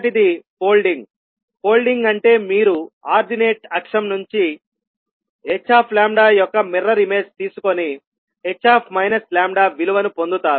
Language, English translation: Telugu, First is folding, folding means you will take the mirror image of h lambda about the ordinate axis and obtain the value of h minus lambda